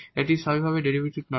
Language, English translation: Bengali, It is not the derivative naturally